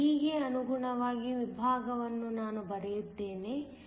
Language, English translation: Kannada, Let me just draw the section corresponding to part d